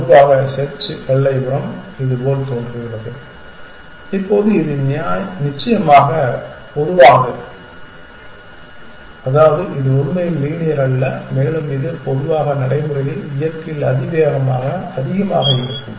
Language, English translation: Tamil, Typically, the search frontier looks like this, now this is typical of course, which means it is not really linear and it generally tends to be more towards exponentially in nature in practice essentially